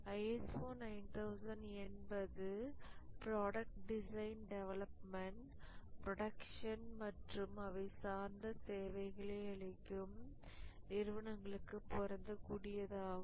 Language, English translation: Tamil, ISO 9,001 is applicable to organizations engaged in design, development, production and servicing of goods